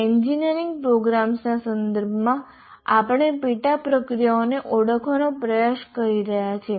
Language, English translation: Gujarati, So, in the context of engineering programs, we are trying to identify the sub processes